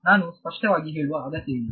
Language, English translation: Kannada, I do not need to explicitly